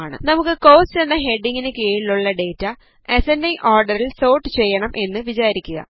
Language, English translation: Malayalam, Lets say, we want to sort the data under the heading Costs in the ascending order